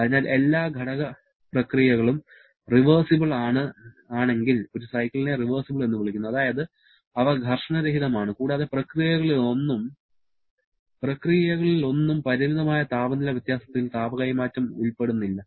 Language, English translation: Malayalam, So, a cycle is called a reversible if all the constituent processes are reversible in nature that is, they are frictionless and none of the processes involved heat transfer with finite temperature difference